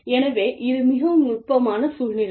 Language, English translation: Tamil, So, you know, it is a very tricky situation